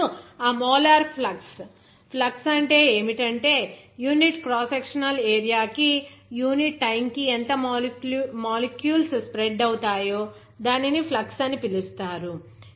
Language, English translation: Telugu, Now, that molar flux, flux means what, how much amount of molecules per unit time per unit cross sectional area, it is being spread that will be called as flux